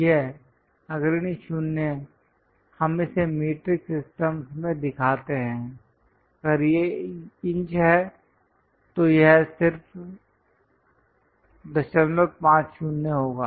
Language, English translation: Hindi, This leading 0, we show it in metric system, if it is inches it will be just